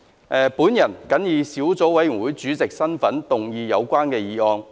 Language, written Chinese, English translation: Cantonese, 我謹以小組委員會主席的身份，動議有關議案。, In my capacity as Chairman of the Subcommittee I move the motion